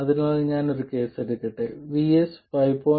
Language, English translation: Malayalam, So, let me take a case where VS is 5